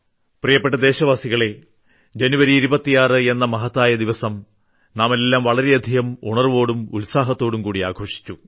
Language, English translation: Malayalam, Fellow Citizens, we all celebrated the 26th January with a lot of zeal and enthusiasm